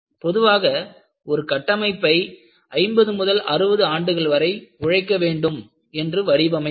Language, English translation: Tamil, Now, normally when you design a structure, you want it to come for 50 to 60 years